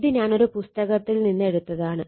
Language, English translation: Malayalam, So, this is I have taken from a book, right